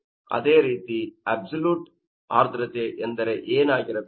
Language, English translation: Kannada, What will be the absolute humidity